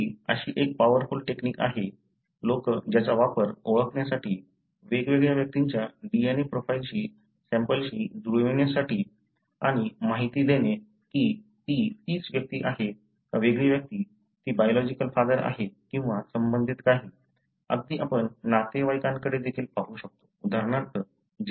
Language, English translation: Marathi, So, this is such a powerful technique which, which people use to identify the, match the DNA profile of different individuals or samples and give information, whether it represent the same person, different person, whether it is a biological father or related, even you can look at relatives, for example